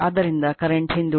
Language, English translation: Kannada, So, current is lagging